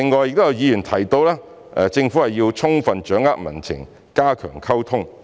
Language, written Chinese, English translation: Cantonese, 有議員提到政府須充分掌握民情和加強溝通。, Some Members mentioned that the Government should fully grasp public sentiment and enhance communication